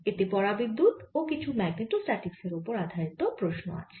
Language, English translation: Bengali, it concerns dielectrics and some magnetostatics problem